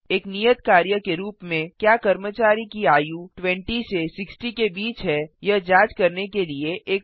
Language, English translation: Hindi, As an assignment, Write a program to check whether the age of the employee is between 20 to 60